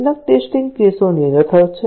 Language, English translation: Gujarati, Some test cases are redundant